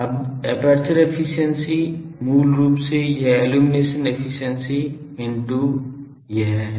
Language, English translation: Hindi, Now, aperture efficiency is basically this illumination efficiency into these